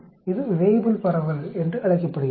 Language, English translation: Tamil, This is called the Weibull distribution